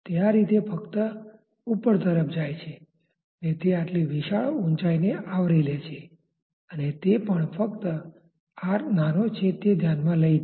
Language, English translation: Gujarati, It goes vertically such a large distance it covers such a huge height just with the consideration that this R is small